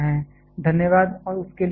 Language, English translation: Hindi, Thanks, and bye for that